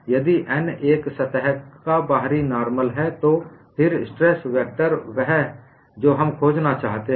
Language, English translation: Hindi, If n is the outward normal of a surface, then the stress vector on that plane is what we want to find